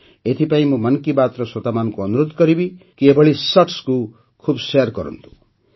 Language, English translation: Odia, Therefore, I would urge the listeners of 'Mann Ki Baat' to share such shorts extensively